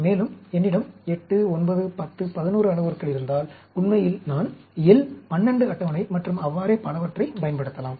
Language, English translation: Tamil, And, if I have parameters 8, 9, 10, 11, I can use L 12 table and so on, actually